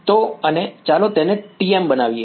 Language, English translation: Gujarati, So and lets make it TM